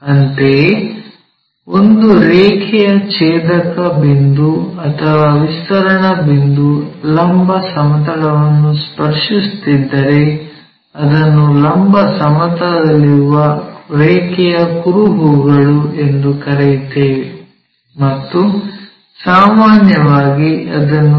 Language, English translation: Kannada, Similarly, if a line is touching the vertical plane the intersection point either that or the extension point that is what we call trace of a line on vertical plane, and usually we denote it by VP VT